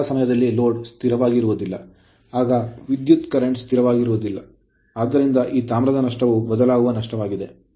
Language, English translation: Kannada, All the time load is not constant; when the current is not constant therefore, this copper loss is a variable loss